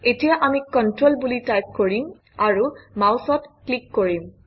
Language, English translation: Assamese, Let us now type the text Control and click the mouse